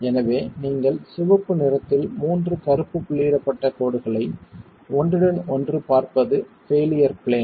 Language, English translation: Tamil, So, what you see in red overlapping the three black dotted lines is the failure plane